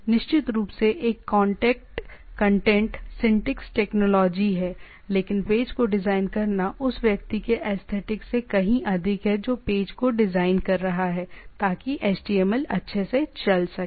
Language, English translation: Hindi, Definitely a contact content syntax technology is there, but designing a page is more of a aesthetic of the of the person who is designing the page, so that that the html